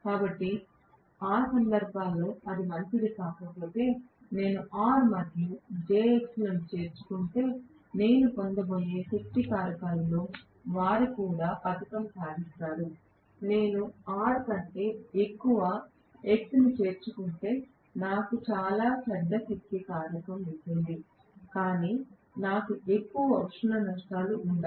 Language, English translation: Telugu, So, if it is not good in that case right, if I include R and jx they will also medal with whatever is the power factor that I am going to get, if I include more x rather than R then I will have very bad power factor, but I will not have much of heat loses